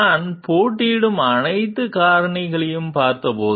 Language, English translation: Tamil, when I gone through all the competing factors